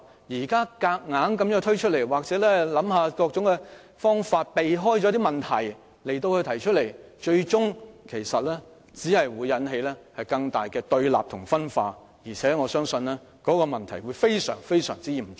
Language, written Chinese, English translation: Cantonese, 如現時強行推出或提出各種方法，藉此逃避問題，最終只會引起更大的對立和分化，我相信後果將非常嚴重。, If the Government is bent on pushing through or introducing various options in an attempt to evade the problem only more opposition and divisions would be resulted in the end and this I believe would lead to grave consequences